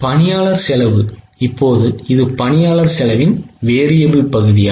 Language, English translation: Tamil, Now, this is the variable portion of employee cost